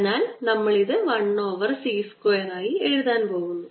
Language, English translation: Malayalam, so we are going to write it as one over c square